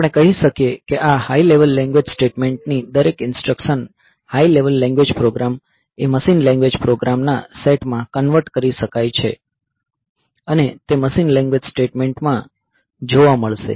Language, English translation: Gujarati, So, we can say that every instruction of this high level language statement, high level language program will get converted into a set of machine language programs, machine language statements